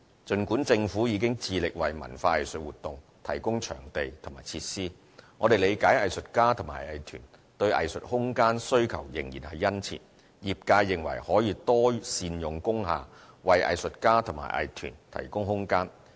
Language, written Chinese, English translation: Cantonese, 儘管政府已致力為文化藝術活動提供場地和設施，我們理解藝術家和藝團對藝術空間需求仍然殷切，業界認為可多善用工廈，為藝術家和藝團提供空間。, Despite the Governments efforts in providing venues and facilities for cultural and arts activities we understand that artists and arts groups are still demanding for arts space keenly . The sector holds that we should make good use of industrial buildings to make space for artists and arts groups